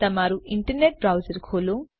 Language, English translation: Gujarati, Open your internet browser